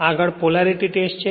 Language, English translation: Gujarati, Next is Polarity Test